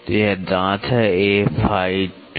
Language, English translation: Hindi, So, it is teeth be A phi 2